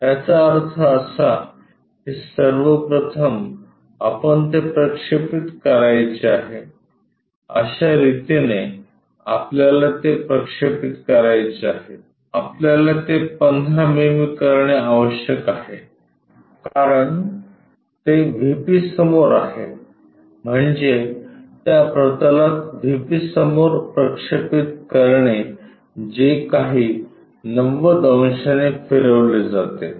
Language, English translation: Marathi, That means, first of all we have to project it, this is the way we have to project, 15 mm we have to make it because it is in front of VP; that means, projecting on to that plane whatever in front of VP rotated by 90 degrees